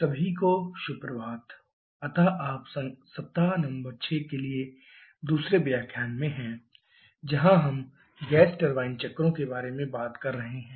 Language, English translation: Hindi, Good morning everyone, so you are into the second lecture for week number 6 where we are talking about the gas turbine cycles